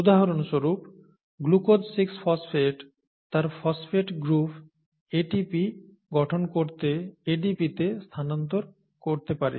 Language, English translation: Bengali, For example, glucose 6 phosphate can transfer its phosphate group to ADP to form ATP